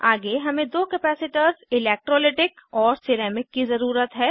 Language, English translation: Hindi, Next we need two capacitors, electrolytic and ceramic